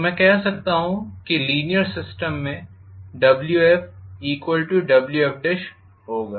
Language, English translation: Hindi, So I can say in linear system I am going to have Wf equal to Wf dash